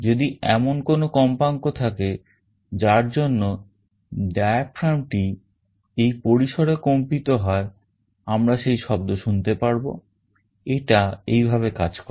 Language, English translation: Bengali, If there is a frequency with which the diaphragm is vibrating in this range, we will be able to hear that sound; this is how it works